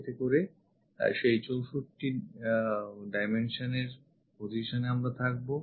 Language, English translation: Bengali, So, that 64 dimension we will be in a position to since